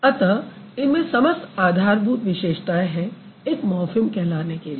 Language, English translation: Hindi, So, that is why they have all the basic features of being called as a morphem, right